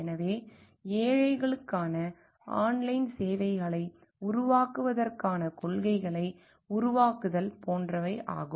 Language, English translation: Tamil, So, like framing policies for creating online services for the poor